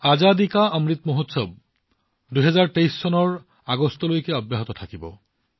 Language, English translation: Assamese, The Azadi Ka Amrit Mahotsav will continue till next year i